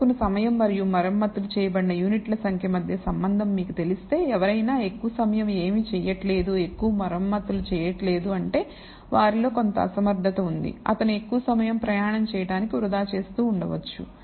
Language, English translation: Telugu, So, if you know a relationship between the time taken and number of units repaired which you believe should happen if somebody takes more time and is doing nothing not repairing much, then there is some ine ciency in them maybe he is wasting too much time in between travel or whatever